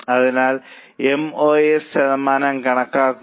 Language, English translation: Malayalam, So, compute MOS percentage